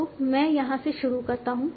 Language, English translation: Hindi, So let me start from here